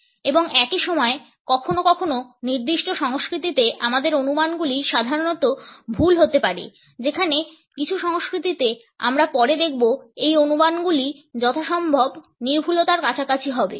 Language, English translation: Bengali, And at the same time sometimes in certain cultures our estimates can be normally imprecise whereas, in some cultures as we will later see these estimates have to be as close to precision as possible